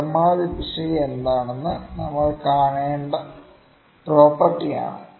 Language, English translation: Malayalam, This is the property that we need to see that what could be the maximum error